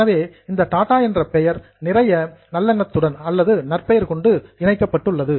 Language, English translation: Tamil, So, that Tata name is attached with lot of goodwill